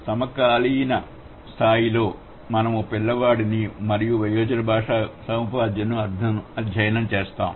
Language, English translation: Telugu, And the other hand we have the child language as well as the adult language acquisition